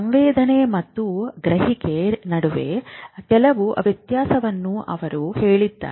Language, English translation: Kannada, He made out a difference between sensation and perception